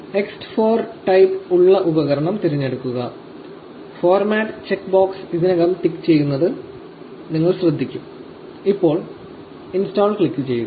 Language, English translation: Malayalam, Select the device with the type ext 4 and you will observe that the format check box is already ticked, click install now